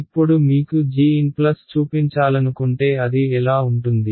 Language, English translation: Telugu, Now if I want to show you g n plus one what will it look like